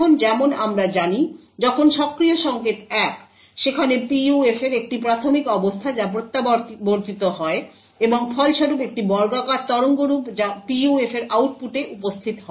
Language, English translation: Bengali, Now as we know, when the enable signal is 1, there is an initial state of the PUF which gets fed back and as a result there is a square waveform which gets present at the output of the PUF